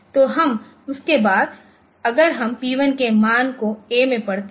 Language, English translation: Hindi, So, that is then we are reading the value of p 1 into a